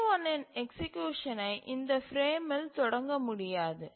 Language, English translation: Tamil, So, the execution of the TI cannot be started in this frame